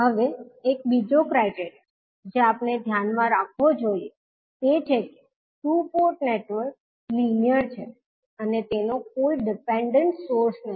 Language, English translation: Gujarati, Now, another criteria which we have to keep in mind is that the two port network is linear and has no dependent source